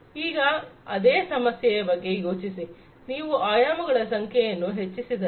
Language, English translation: Kannada, Think about the same problem, if you are increasing the number of dimensions right